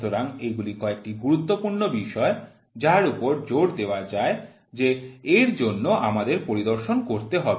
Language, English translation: Bengali, So, these are some of the important points which insist that we have to do inspection